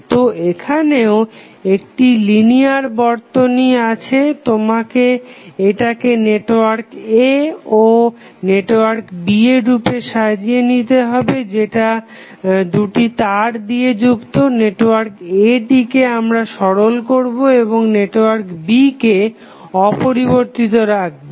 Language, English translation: Bengali, So, given any linear circuit, we rearrange it in the form of 2 networks A and B connected by 2 wires, network A is the network to be simplified and B will be left untouched